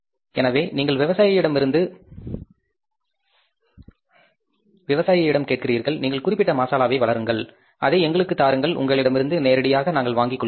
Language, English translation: Tamil, So, you ask the farmer, you grow this particular spice, you give it to us, we will purchase it from you directly